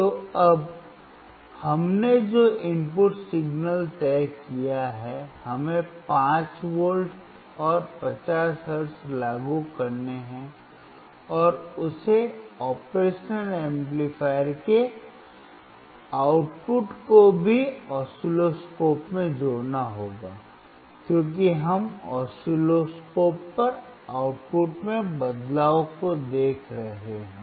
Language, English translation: Hindi, So now, the input signal that we have decided is, we had to apply 5V and 50 hertz and he has to also connect the output of the operational amplifier to the oscilloscope, because we are looking at the change in the output on the oscilloscope